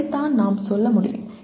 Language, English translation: Tamil, That is what we can say